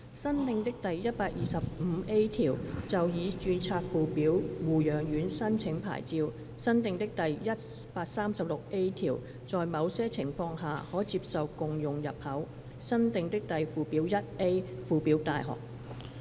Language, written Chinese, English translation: Cantonese, 新訂的第 125A 條就已註冊附表護養院申請牌照新訂的第 136A 條在某些情況下，可接受共用入口新訂的附表 1A 附表大學。, New clause 125A Application for licence where scheduled nursing home already registered New clause 136A Shared entrance acceptable in some cases New Schedule 1A Scheduled Universities